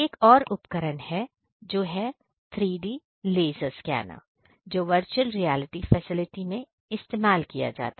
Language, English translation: Hindi, There is very another very exciting equipment which is the 3D laser scanner which is also used in VR facility